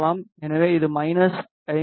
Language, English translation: Tamil, So, it is less than minus 50 dB